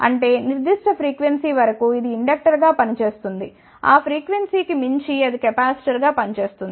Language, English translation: Telugu, So; that means, up to certain frequency it will work as inductor, beyond that frequency it will act as a capacitor